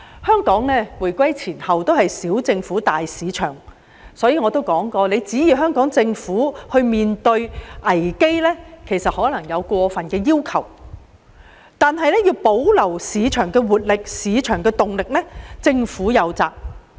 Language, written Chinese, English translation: Cantonese, 香港無論回歸前後，都是奉行"小政府，大市場"原則，所以我早就說指望香港政府能應對危機，可能是過分的要求，但保留市場的活力和動力，政府則有責。, Hong Kong has been upholding the principle of small government big market both before and after the reunification and I have therefore commented years ago that we might be demanding too much to expect the Hong Kong Government to be able to cope with crisis . However the Government does have the responsibility to maintain the vitality and vigour of the market